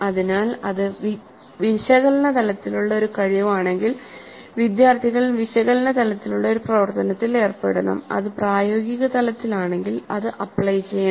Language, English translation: Malayalam, So if it is a competency that is at the level of analyzed, students must engage in an activity that is at analyzed level